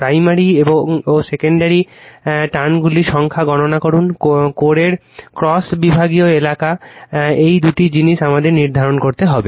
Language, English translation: Bengali, Calculate the number of primary and secondary turns, cross sectional area of the core, right this two things we have to determine